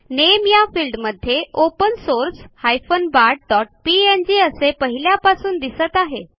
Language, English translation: Marathi, In the Name field, open source bart.png is already displayed